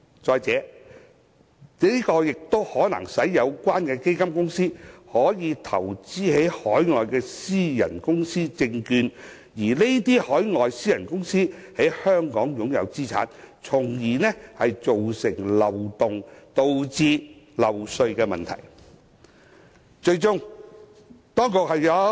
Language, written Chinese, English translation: Cantonese, 再者，這亦可能使有關基金公司投資於海外的私人公司證券，而這些海外私人公司可能在香港擁有資產，從而造成漏洞，導致漏稅的問題。, In addition under this arrangement the fund companies concerned may invest in the securities of overseas private companies which may own Hong Kong assets thereby giving rise to a loophole which results in tax leakage